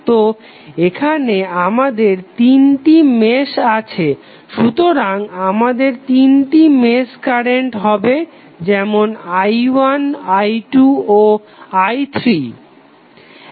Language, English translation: Bengali, So, here we have three meshes connected so we will have three mesh currents like i 1, i 2 and i 3